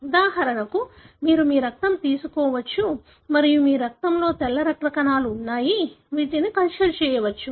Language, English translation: Telugu, For example, you can take your blood and you have white blood cells in your blood, which can be cultured